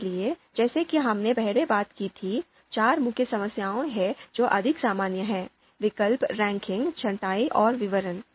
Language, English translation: Hindi, So as we talked about previously, there are four main problems which are more common: choice, ranking, sorting and description